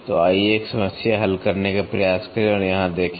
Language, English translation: Hindi, So, let us try one problem and see here